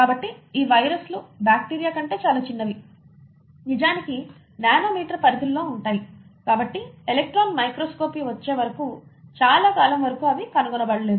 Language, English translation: Telugu, So these viruses are much smaller than bacteria, in fact in the nano meter ranges and hence for a very long time they were not discovered till the advent of electron microscopy